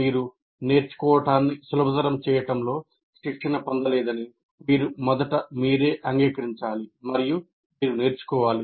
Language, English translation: Telugu, That first thing you should acknowledge to yourself that I'm not trained in facilitating learning and I need to learn